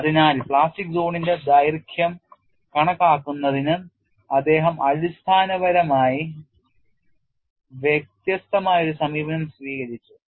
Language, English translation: Malayalam, So, he fundamentally took a different approach to estimation of plastic zone length